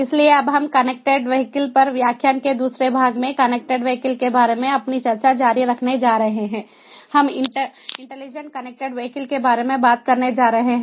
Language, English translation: Hindi, in the second part of the lecture on connected vehicles we are going to talk about the intelligent connected vehicles